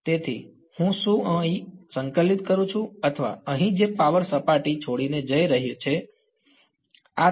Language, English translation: Gujarati, So, I whether I integrate here or here the power that is leaving the surface going to be the same